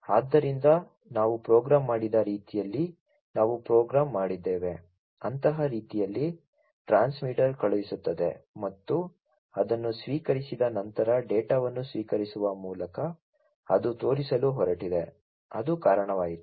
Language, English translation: Kannada, So, this is the way we have programmed that we have programmed, in such a way, that once the transmitter sends and it is received the data is received by the receiver it is going to show, it is going to blow that led